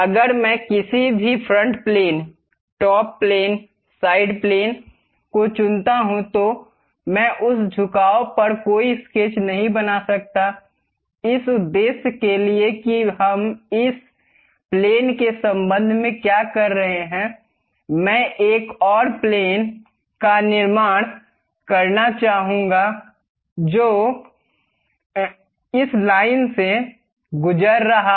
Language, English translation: Hindi, If I pick any front plane, top plane, side plane whatever this, I cannot really construct any sketch on that incline; for that purpose what we are doing is with respect to this plane, I would like to construct one more plane, which is passing through this line